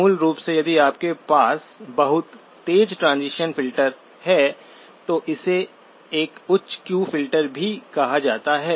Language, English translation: Hindi, Basically if you have a very sharp transition filters, also called a high Q filter